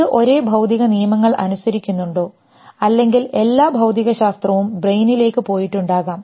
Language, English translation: Malayalam, Does it obey the same physical laws or maybe all physics has gone into the brain